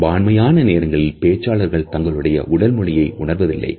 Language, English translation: Tamil, Most of the times we find that a speakers are not even conscious of their own body language